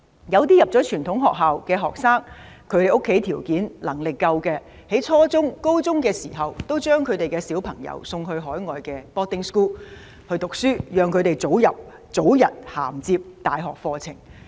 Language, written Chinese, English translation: Cantonese, 有些入讀傳統學校的學生，家中有條件、有能力，在初中或高中時，家長會將他們送到海外的寄宿學校讀書，讓他們早日銜接大學課程。, Some students whose families are better - off will be sent to boarding schools overseas when they are studying in lower or upper forms in traditional secondary schools in Hong Kong so that they will be admitted to undergraduate programmes overseas as soon as possible